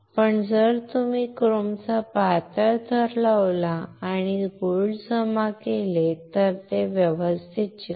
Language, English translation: Marathi, But if you put a thin layer of chrome and then deposit gold it will stick properly